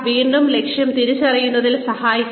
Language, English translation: Malayalam, Again, assist in goal identification